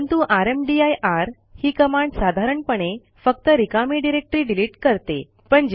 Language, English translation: Marathi, But rmdir command normally deletes a directory only then it is empty